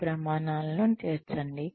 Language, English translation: Telugu, Incorporate these criteria